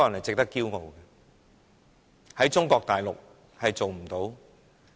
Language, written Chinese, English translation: Cantonese, 在中國大陸，這是做不到的。, This can never happen on the Mainland